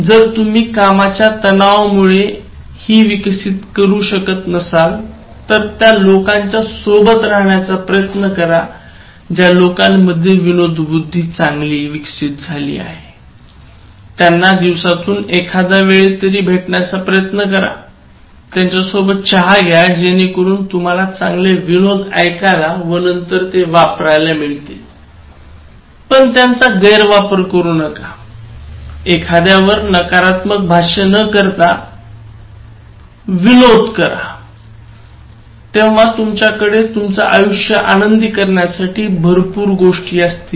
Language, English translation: Marathi, So how can you develop humour, in case you have lost this sense because of work pressure and all that so try to associate with people who are humourous, try to meet them once in a while, if possible once in a day, during a coffee break so have some jokes and then let it be very beneficial kind of joke with no malignity involved in it, jokes not in terms of gossiping or passing negative remarks on somebody, but then there are lot of things that we can laugh at, admiring life